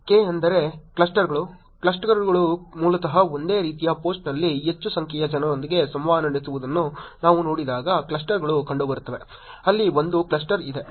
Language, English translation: Kannada, K means Clusters, clusters are basically way in when we see users together interacting on the same post more number of people, there is a cluster there are